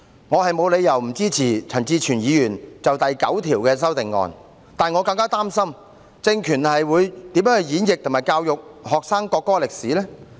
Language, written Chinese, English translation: Cantonese, 我沒有理由不支持陳志全議員就第9條提出的修正案，但我更擔心政權會如何演繹和教育學生國歌的歷史。, I have no reason to not support the amendment proposed by Mr CHAN Chi - chuen to clause 9 but I am even more concerned about how the regime will interpret and educate the students on the history of the national anthem